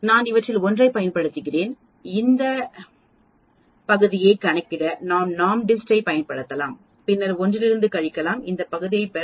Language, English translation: Tamil, I can use one of these, I can use NORMSDIST to calculate this area and then subtract from 1 to get this area